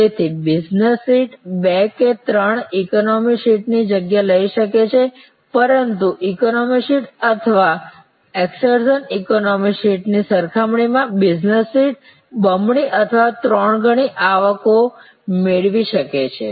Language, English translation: Gujarati, So, the business seats may take this space of two or three economy seats, but the business seats can fetch double or triple the revenue compare to an economy seat or an excursion economy seat